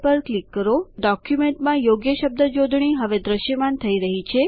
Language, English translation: Gujarati, You see that the correct spelling now appears in the document